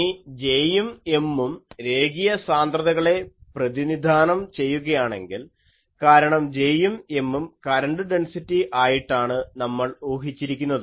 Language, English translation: Malayalam, Now, if J and M represent linear densities because these J and M we assume current density